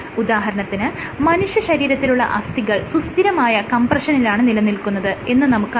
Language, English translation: Malayalam, For example, bones in our body are under constant compression